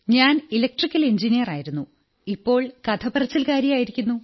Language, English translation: Malayalam, I am an Electrical Engineer turned professional storyteller